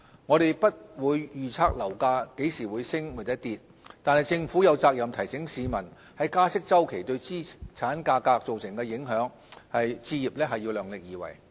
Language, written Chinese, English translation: Cantonese, 我們不會預測樓價何時升跌，但政府有責任提醒市民在加息周期對資產價格造成的影響，置業要量力而為。, We will not make property price projections . However the Government has a responsibility to alert members of the public to the impact of rate hike cycle on property price . The public should not overstretch themselves financially for home purchase